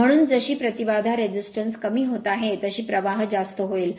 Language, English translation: Marathi, So, as impedance is getting reduced so current will be higher